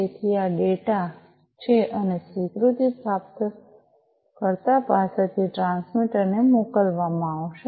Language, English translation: Gujarati, So, this is this data and the acknowledgment will be sent from the receiver to the transmitter